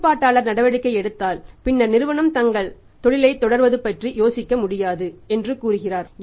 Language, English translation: Tamil, He is the regulatory is going to take the action and then say the company cannot think of say continuing their business